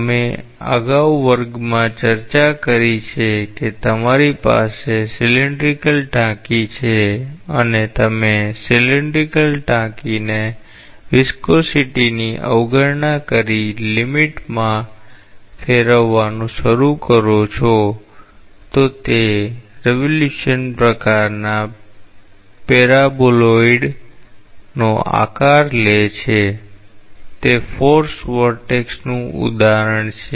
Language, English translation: Gujarati, So, it is a an example is like, we have discussed in the class earlier that you have a cylindrical tank and you start rotating the cylindrical tank in the limit as you are neglecting the viscosity, it takes the shape of a paraboloid of revolution type, that is an example of a forced vortex